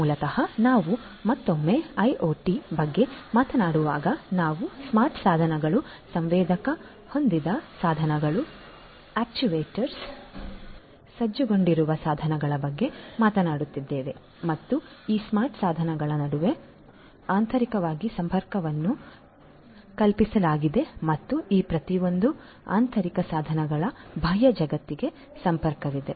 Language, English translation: Kannada, So, basically when we are talking about IIoT once again we are talking about smart devices, devices which are sensor equipped, actuator equipped and so on and these smart devices have connectivity between them internally and also between each of these internal each of these devices in that internal network to the external world